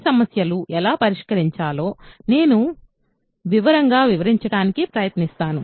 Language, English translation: Telugu, I will try to explain in detail how to solve these problems